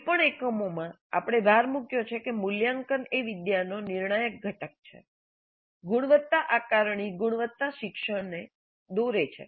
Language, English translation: Gujarati, This in any number of units we have emphasized that this is a crucial component of the learning, quality assessment drives quality learning